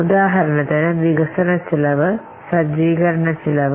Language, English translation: Malayalam, For example, some of the cost could be development cost